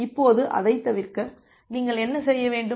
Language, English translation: Tamil, Now to avoid that; what you have to do